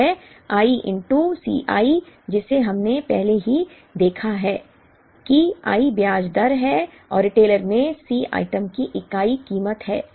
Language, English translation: Hindi, C c is i into C i which we have already seen i is the interest rate and C is the unit price of the item at the retailer